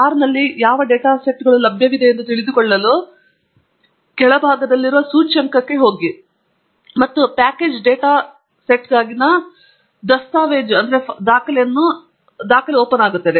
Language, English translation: Kannada, To know what data sets are available in R, go to the index at the bottom here, and that brings up the documentation for the package data set